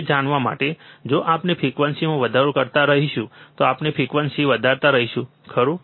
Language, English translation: Gujarati, To to know that, we will if we keep on increasing the frequency, we keep on increasing the frequency, right